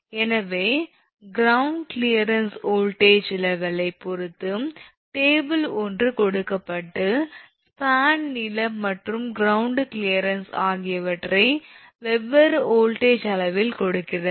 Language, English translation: Tamil, So, for ground clearance depend on voltage level as table one something is given and gives the span length and ground clearance at different voltage level